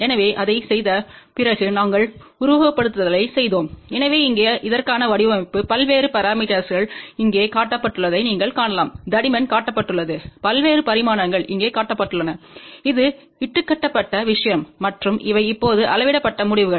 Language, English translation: Tamil, So, after doing that we did the simulation, so here is the design for that, you can see the variousparameters are shown over here thicknesses are shown, the various dimensions are shown over here and this is the fabricated thing and these are the now measured results